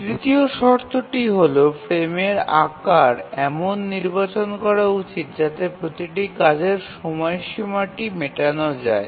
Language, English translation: Bengali, Now let's look at the third condition which says that the frame size should be chosen such that every task deadline must be met